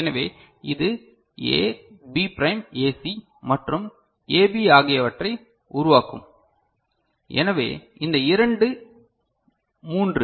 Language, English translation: Tamil, So, this will generate A B prime AC and AB, so, this two three